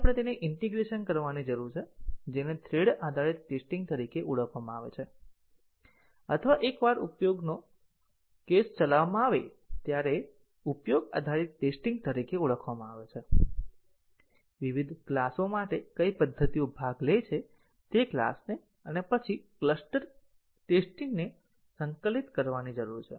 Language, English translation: Gujarati, So, we need to integrate them, that is called as thread based testing or used based testing once a use case is executed what are the methods participate for different classes we need to integrate those classes and then the cluster testing